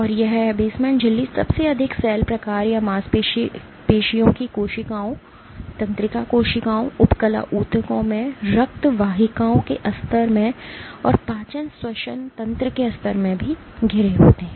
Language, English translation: Hindi, And this basement membrane surrounds most cell types or muscle cells, nerve cells, fat cells in lining of blood vessels in epithelial tissues and also in lining of digestion respiratory tracts